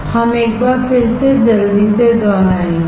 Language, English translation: Hindi, Let us repeat once again quickly